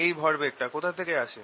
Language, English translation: Bengali, where does this momentum come from